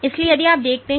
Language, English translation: Hindi, So, if you see